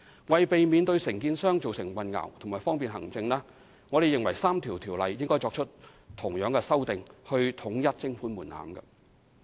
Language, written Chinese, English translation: Cantonese, 為避免對承建商造成混淆，以及方便行政，我們認為應對該3項條例作出同樣的修訂，以統一徵款門檻。, To avoid confusion to contractors and facilitate administration we hold that the same amendment should be made to these three ordinances with a view to aligning the levy threshold